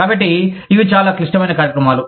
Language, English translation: Telugu, So, these are very complex programs